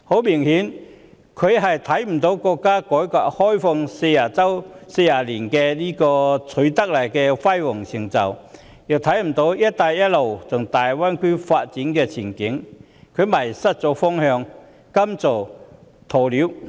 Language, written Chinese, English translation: Cantonese, 明顯地，他看不到國家改革開放40年所取得的輝煌成就，亦看不到"一帶一路"和大灣區的發展前景，因而迷失了方向，甘心做鴕鳥。, Obviously he has failed to realize not only the brilliant success achieved by our country after 40 years reform and opening up but also the development prospects of the Belt and Road Initiative and the Greater Bay Area . Thus he seems to have lost his way and is willing to act like an ostrich